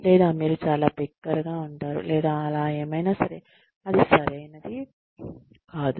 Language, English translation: Telugu, Or, you are too loud, or whatever, that is not right